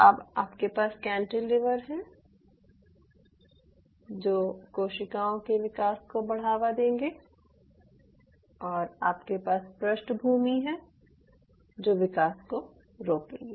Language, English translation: Hindi, now you have the cantilevers, which will promote the growth, and you have the background, which will not promote the growth